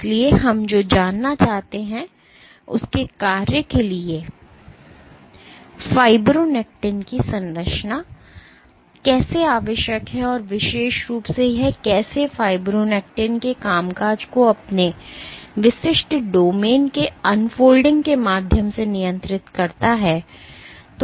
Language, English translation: Hindi, So, what we want to know is to, how the structure of fibronectin is necessary for its function and particularly how forces regulate functioning of fibronectin through unfolding of its individual domains